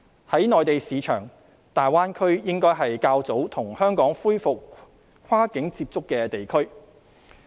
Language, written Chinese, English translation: Cantonese, 在內地市場，大灣區應該是較早跟香港恢復跨境接觸的地區。, As far as the Mainland market is concerned the Greater Bay Area should be the first area that Hong Kong will resume cross - boundary contact